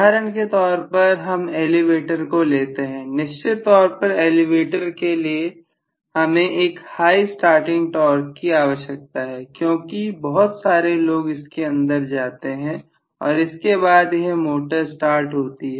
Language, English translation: Hindi, For example if I am talking about an elevator, elevator will definitely have a requirement for a very high starting torque because many of us would get in and then after that only the motor is going to start